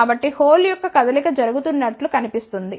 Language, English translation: Telugu, So, it looks like that the movement of hole is taking place